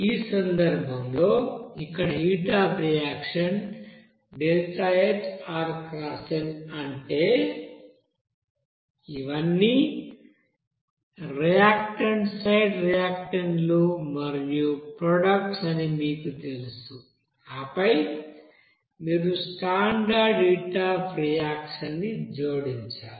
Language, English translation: Telugu, In this case, we know that here the deltaHrxn that is heat of reaction, that is This is in you know that reactant side reactants and these are all products and then you have to add the standard heat of reaction that is